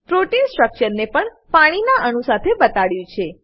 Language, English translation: Gujarati, The protein structure is also shown with water molecules